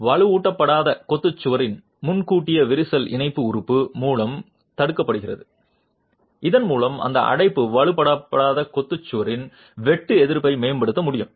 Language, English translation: Tamil, So, premature cracking of the un reinforced masonry wall is prevented by the tie element, thereby that confinement can improve the shear resistance of the unreinforced masonry wall